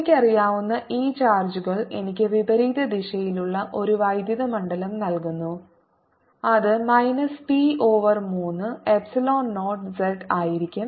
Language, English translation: Malayalam, this charge, i know, gives me electric field in the opposite direction: e, which is going to be minus b over three epsilon, zero z